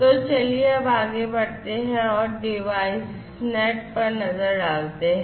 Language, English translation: Hindi, So, let us now proceed further and to look at the DeviceNet